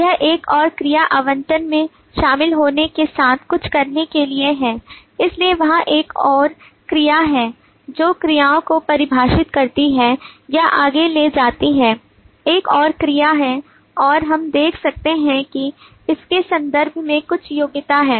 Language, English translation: Hindi, it has something to do with the joining in other verbs allocation is prorated so there is another verb that defines actions carried over or carry forward is another verb and we can see that there is some qualification in terms of that